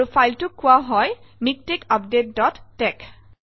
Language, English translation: Assamese, And the file is called MikTeX update dot tex